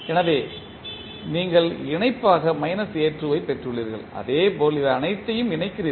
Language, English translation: Tamil, So, you got minus a2 as the connection and similarly you connect all of them